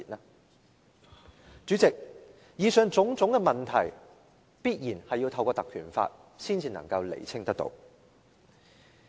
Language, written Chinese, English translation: Cantonese, 代理主席，以上種種問題必然要透過《條例》才能釐清。, Deputy President the questions above can only be answered through the invocation of the Ordinance